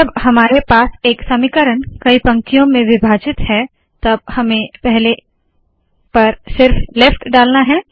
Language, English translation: Hindi, When we have one equation split into multiple lines, we will have to put only the left on the first